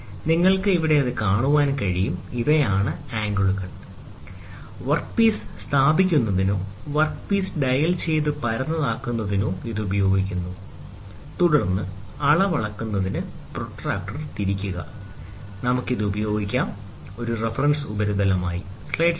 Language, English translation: Malayalam, So, you can see here, these are the angles, which are used to place the work piece or dial the work piece and make it flat, and then place it, then rotate the protractor to measure the reading, we can use this as a reference surface